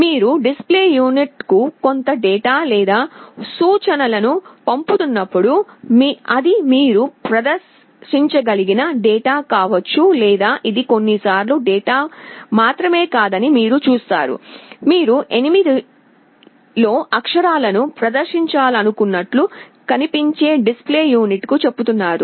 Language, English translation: Telugu, When you are sending some data or instruction to the display unit, it can be either the data you want to display or you see it is not only a data sometimes, you are telling the display unit that look we want to display the characters in 8 bit mode or 16 bit mode